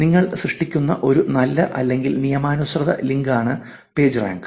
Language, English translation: Malayalam, Pagerank is benign or legitimate links that you create